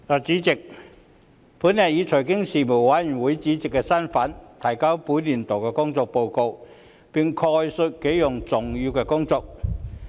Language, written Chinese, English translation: Cantonese, 主席，本人以財經事務委員會主席身份，提交本年度的工作報告，並概述幾項重點工作。, President in my capacity as the Chairman of the Panel on Financial Affairs the Panel I now submit the Panels work report for the current session and give a brief account of its major work